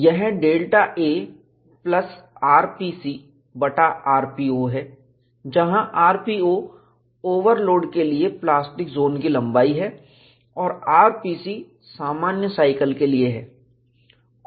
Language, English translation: Hindi, It is delta a plus r p c divided by r p naught, where r p naught is the plastic zone length for the overload and r p c is for the normal cycle